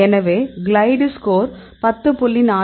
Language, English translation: Tamil, So, you have the glide score of 10